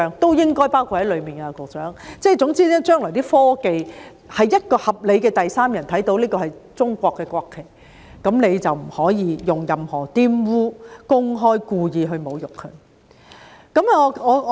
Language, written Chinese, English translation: Cantonese, 總而言之，就將來的科技，凡是一個合理的第三人看到這是中國的國旗，任何人就不可以公開及故意玷污它或以任何方式侮辱它。, In short with future technology in respect to the national flag of China as discerned by a reasonable third party no one can publicly and intentionally defile it or desecrate it in any way